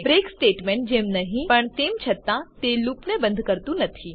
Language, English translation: Gujarati, Unlike the break statement, however, it does not exit the loop